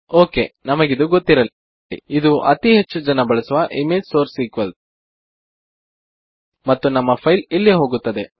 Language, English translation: Kannada, Okay, just to let you know, this is one thing that a lot of people run into: image source equals and your file goes there